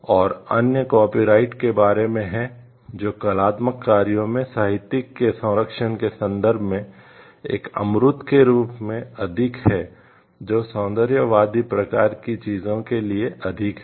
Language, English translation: Hindi, And other is for regarding like copyrights which is more of an intangible in terms of the protection an of the literary in artistic works which is more for the aesthetic type of things